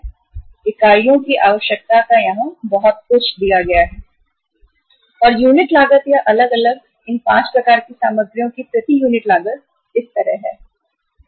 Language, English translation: Hindi, And the unit cost or the cost per unit of the different these 5 types of the materials is like this